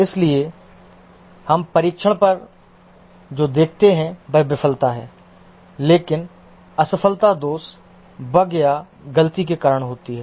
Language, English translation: Hindi, So, what we observe on testing is a failure, but the failure is caused by a defect, a bug or a fault